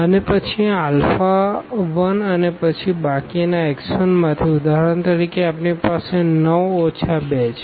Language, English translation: Gujarati, And, then this alpha 1 and then the rest from x 1, for example, we have 9 minus 2